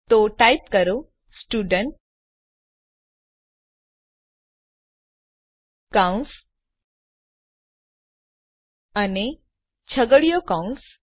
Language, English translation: Gujarati, So type Student parenthesis and curly brackets